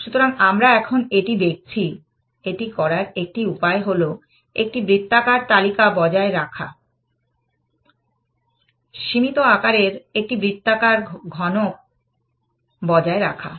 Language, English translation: Bengali, So, we are looking at this now, one way to do this is to maintain a circular list, maintain a circular cube of some finite size